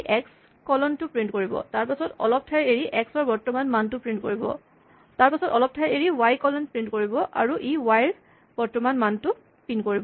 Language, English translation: Assamese, This will print x colon; it will leave a space; then, it will print the value of, current value of x; then, it will print y colon after a space and then, it will print the current value of y